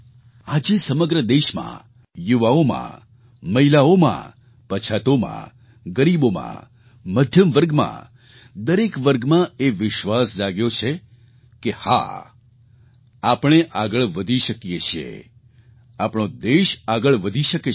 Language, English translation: Gujarati, Today, the entire country, the youth, women, the marginalized, the underprivileged, the middle class, in fact every section has awakened to a new confidence … YES, we can go forward, the country can take great strides